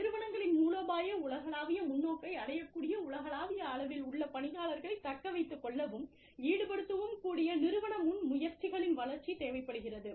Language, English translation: Tamil, Development of organizational initiatives, that can effectively attract, retain, and engage employees, on a global scale, who can achieve, the organization's strategic global perspective